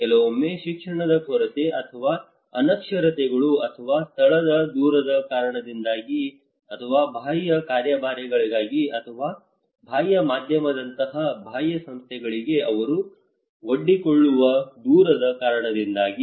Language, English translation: Kannada, Sometimes because of lack of education or illiteracies or remoteness of the place or remoteness of their exposure to external agencies or external like media